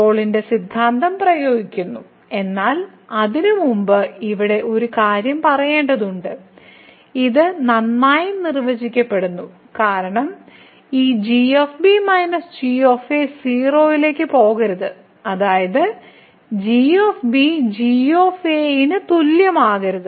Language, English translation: Malayalam, So, applying the Rolle’s theorem, but before that there is a point here that we have to tell that this is well define because this minus should not go to 0; that means, should not be equal to